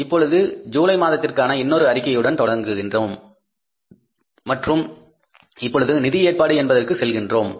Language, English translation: Tamil, Now we continue on the next statement for the month of July and now we have to go for the financing arrangements